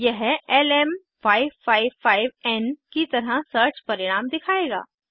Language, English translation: Hindi, It will show the search result as LM555N